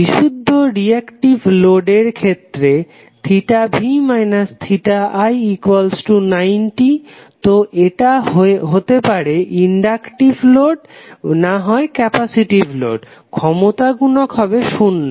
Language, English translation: Bengali, In case of purely reactive load when theta v minus theta i is equal to 90 degree, so that can be either inductive load or the capacitive load, the power factor would be 0